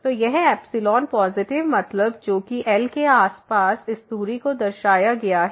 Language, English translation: Hindi, So, this epsilon positive that means, which is denoted by this distance here around this